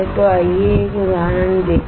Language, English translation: Hindi, So, let us see an example